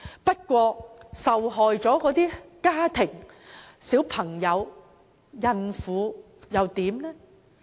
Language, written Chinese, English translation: Cantonese, 不過，受害的家庭、小孩子、孕婦又如何？, Nevertheless what about those families children and pregnant women affected by the incident?